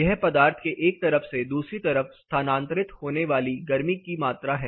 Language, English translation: Hindi, It is amount of heat getting transferred from one side of the material to the other side of the material